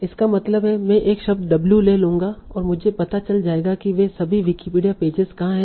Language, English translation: Hindi, So that means I will take a word W and I'll find out what are all the Wikipedia pages where it occurs